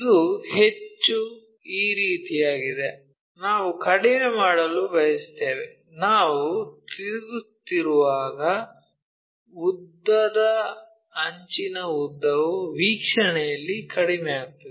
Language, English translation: Kannada, It is more like this is the one we want to decrease when we are rotating longer edge length decreases in your view